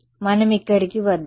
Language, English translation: Telugu, Let us come over here